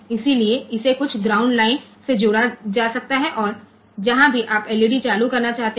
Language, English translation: Hindi, So, there this can be connected to some ground pin to some ground line and, wherever whichever LED you want to turn on